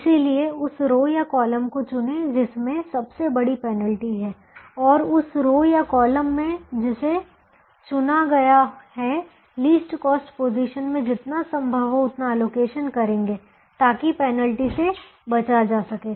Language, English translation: Hindi, therefore, choose the row or column that has the largest penalty and, in that row or column that has been chosen, allocate as much as you can in the least cost position so that the penalty can be avoided